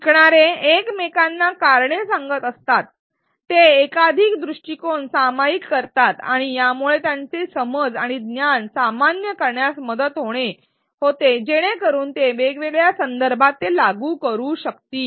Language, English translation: Marathi, As learners articulate the reasons to one another, they share multiple perspectives and this helps them generalize their understanding and knowledge so that they can apply it in different contexts